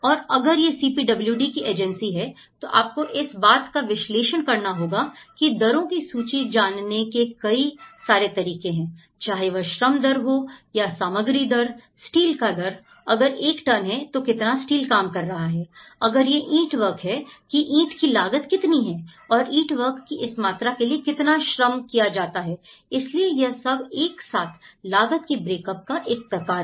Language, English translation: Hindi, And if it is a CPWD agency, then you have to analyse, that at least there are different ways how one can get these rates, whether it is a labour rate, whether it is a material rate, whether it is a steel rate, if it is one ton how much steel it is working, it is brickwork how much brickwork is costing and for this amount of brickwork, how much labour is worked out so this whole thing is a kind of a cost break up